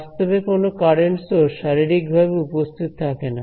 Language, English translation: Bengali, There are not physically current sources sitting in space